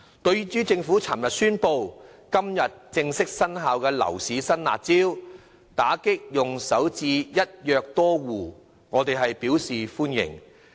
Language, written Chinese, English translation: Cantonese, 對於政府昨天宣布實施、今天正式生效的樓市新"辣招"，打擊利用首置"一約多戶"的漏洞，我們表示歡迎。, We welcome the new round of harsh measures announced by the Government yesterday and come into force today because they seek mainly to combat the practice of acquiring multiple properties by first - time home buyers under a single instrument